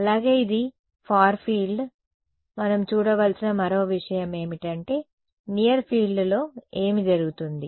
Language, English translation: Telugu, Also this is far field the other thing we should look at is what happens in the near field right